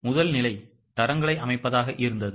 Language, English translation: Tamil, The first step was setting up of standards